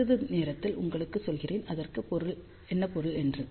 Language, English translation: Tamil, I tell you in a short while what does that mean